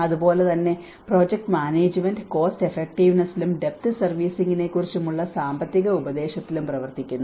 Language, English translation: Malayalam, And similarly the project management works at cost effectiveness and financial advice on depth servicing